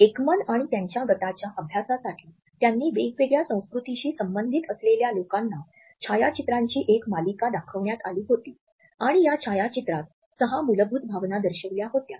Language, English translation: Marathi, In his studies Ekman and his team, had showed a series of photographs to various people who belong to different cultures and these photos depicted six basic emotions